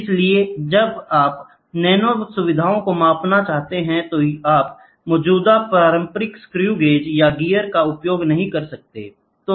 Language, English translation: Hindi, So, here when you want to measure nano features, you cannot use the existing conventional screw gauge or gear all these things cannot be used